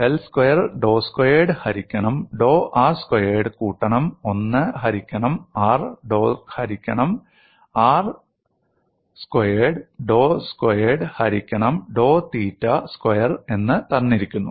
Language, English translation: Malayalam, And del square is given as dou square, by dou r square plus 1 by r dou by dou r plus 1 by r square dou square by dou theta square